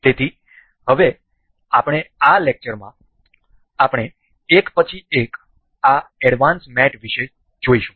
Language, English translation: Gujarati, So, now, we will in this lecture, we will go about these advanced mates one by one